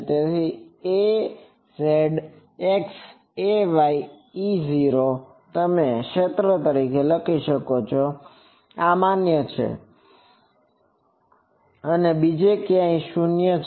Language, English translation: Gujarati, So, a z cross a y E 0, you can write the region where this is valid and 0 elsewhere